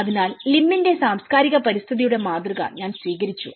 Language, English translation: Malayalam, So, I have adopted Lim’s model of cultural environment